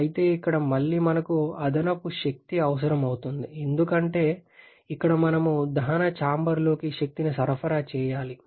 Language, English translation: Telugu, However here again we are having additional energy requirement because here we have to supply energy into combustion chamber